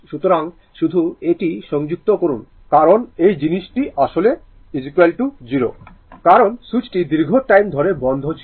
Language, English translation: Bengali, So, just join it because this thing is actually is equal to 0 because switch was closed for long time, right